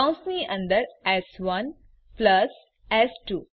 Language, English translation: Gujarati, Within parentheses s1 plus s2